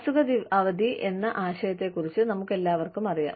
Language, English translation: Malayalam, We are all aware of this concept of sick leave